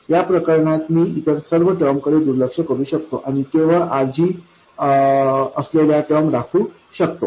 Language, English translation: Marathi, In this case I can neglect all the other terms and retain only the terms containing RG